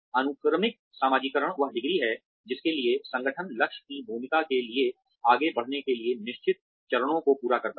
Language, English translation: Hindi, Sequential socialization is the degree to which, the organization specifies a certain set of steps, to be completed, in order to advance to the target role